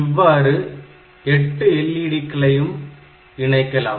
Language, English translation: Tamil, So, 8 LED, 8 such LEDs can be connected